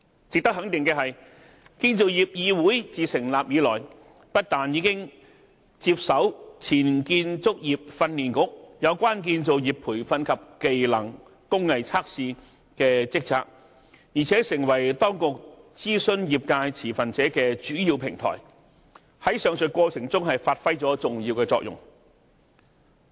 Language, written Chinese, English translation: Cantonese, 值得肯定的是，建造業議會自成立以來，不但已接手前建造業訓練局有關建造業培訓及技能/工藝測試的職責，而且成為當局諮詢業界持份者的主要平台，在上述過程中發揮了重要的作用。, It is worth noting that CIC has since its establishment not only taken over from the former Construction Industry Training Authority the responsibilities in relation to construction training and trade tests but has also become the main platform for the Administration to consult industry stakeholders playing an important role in the process